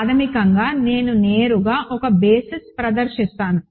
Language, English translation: Telugu, So, basically, I will directly exhibit a basis